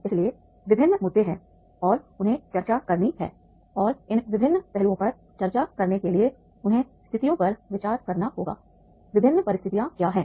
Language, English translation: Hindi, So there are the different issues are there and all these issues they have to discuss and to discuss these various aspects, they have to consider the situations